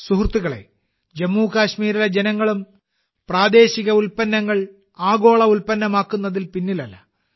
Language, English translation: Malayalam, Friends, the people of Jammu and Kashmir are also not lagging behind in making local products global